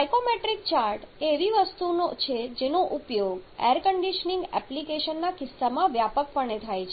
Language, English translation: Gujarati, Psychrometric chart is something that is extensively used in case of air conditioning applications